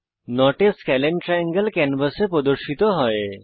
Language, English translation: Bengali, Not a scalene triangle is displayed on the canvas